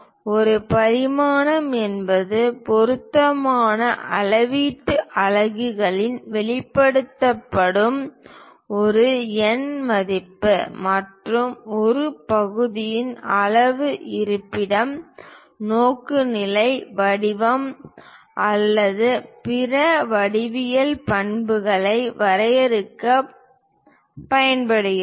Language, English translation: Tamil, A dimension is a numerical value expressed in appropriate units of measurement and used to define the size location, orientation, form or other geometric characteristics of a part